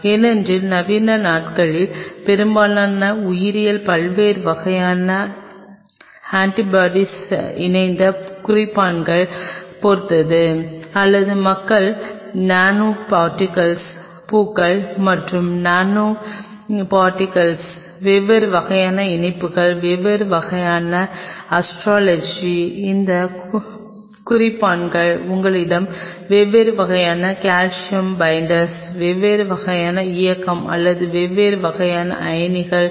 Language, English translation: Tamil, Because most of the modern days will biology depends heavily on different kind of antibody conjugated markers or people use nano particles flowers and nanoparticles, different kind of conjugations, different kind of astrology, where you have these markers different kind of calcium binders, different kind of movement or the drift of different kind of ions